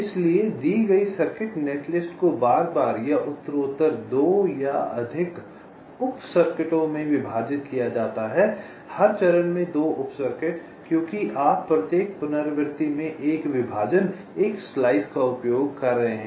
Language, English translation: Hindi, so, given circuit, netlist is repeatedly or progressively partitioned into two or more sub circuits, two sub circuits at every stage, because you are using one partition, one slice in a wave artilation